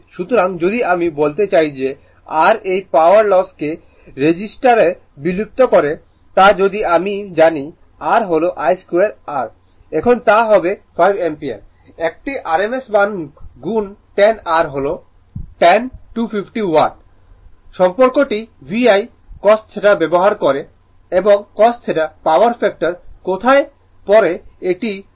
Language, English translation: Bengali, So, if you if you I mean if you find out that ah your what you call this ah power loss dissipated in the register R is I square R I is the 5 ampere is a rms value into 10R is the 10 250 watt use the relationship VI cos theta and you will and cos theta power factor later we will see there it is